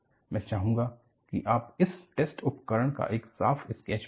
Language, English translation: Hindi, I would like you to draw a neat sketch of this test apparatus